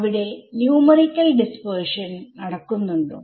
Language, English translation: Malayalam, Can there be dispersion numerically